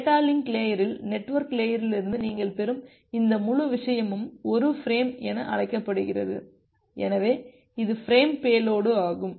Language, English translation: Tamil, In the data link layer, this entire thing that you are receiving from the network layer that is termed as a frame, so this is the frame payload